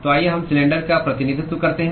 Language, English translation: Hindi, So, let us represent the cylinder